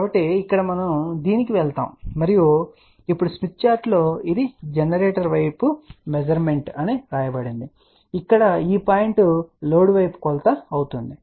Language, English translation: Telugu, So, here we simply go to this and now on the smith chart you will actually see that it is also written that this is a measurement toward generator or this point here it will be measurement towards load